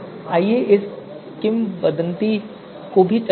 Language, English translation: Hindi, So let us run this legend also